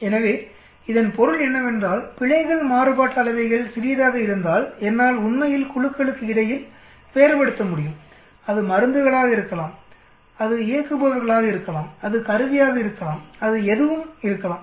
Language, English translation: Tamil, So what it means is, it also means if the errors variances are small, then I will be able to really differentiate between groups it could be drugs, it could be operators, it could be instruments, it could be anything